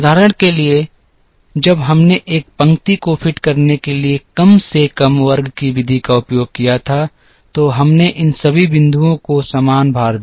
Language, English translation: Hindi, For example, when we used the method of least square to fit a line here we gave equal weightage to all these points